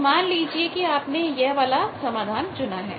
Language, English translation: Hindi, So, suppose you have taken this solution here